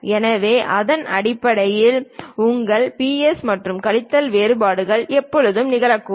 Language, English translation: Tamil, So, based on that your plus and minus variations always happen